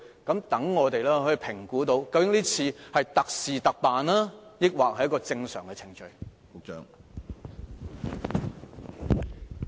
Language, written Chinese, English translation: Cantonese, 這樣我們才可以評估這次是特事特辦，還是屬正常程序。, Only with such information can we evaluate if this is a case of special arrangement for special case or a normal course of action